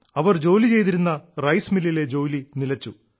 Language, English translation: Malayalam, Work stopped in their rice mill